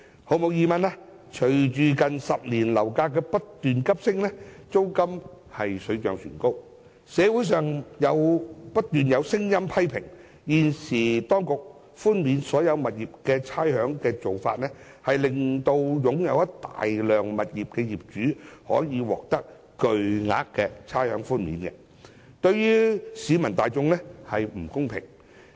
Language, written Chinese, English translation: Cantonese, 毫無疑問，隨着近10年樓價不斷急升，租金水漲船高，社會上不斷有聲音批評，現時當局寬免所有物業差餉的做法，令一些擁有大量物業的業主可以獲得巨額差餉寬免，對於市民大眾並不公平。, Undoubtedly as property prices have skyrocketed in the past decade and rents have risen there have been constant criticisms in the community that the Governments rates concession measure for all properties is unfair to the general public as owners holding a large number of properties can enjoy huge amounts of rates concessions